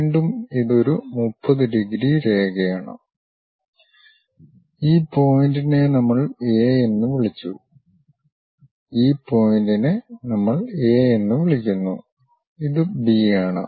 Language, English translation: Malayalam, Again this is a 30 degrees line, this point we called A, this point we called this is A, this is B